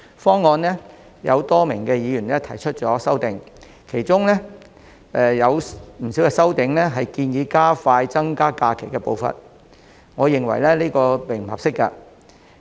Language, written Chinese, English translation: Cantonese, 今次有多名議員就政府提出的方案提出修正案，當中不少擬議修正案也建議加快增加假期的步伐，但我認為並不合適。, A number of Members have proposed amendments to the Governments proposals this time and many of them suggest advancing the pace of increasing the number of SHs but I think they are inappropriate